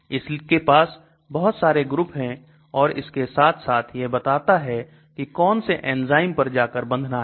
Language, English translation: Hindi, So lot of properties is given and then in addition it tells which enzymes it goes and binds to